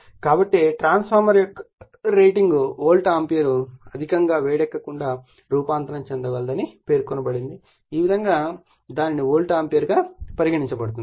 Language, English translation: Telugu, So, the rating of a transformer is stated in terms of the volt ampere that it can transform without overheating so, this way we make it then volt ampere